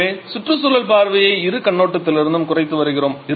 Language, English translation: Tamil, So, we are having environmental in we are reducing environmental impact from both point of view